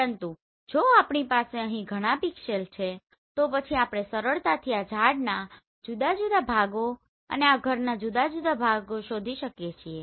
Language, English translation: Gujarati, But if we have several pixels here then we can easily find out different parts of this tree and different parts of this house right